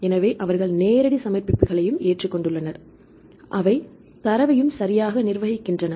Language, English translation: Tamil, So, they also accept direct submissions, they are also curating data right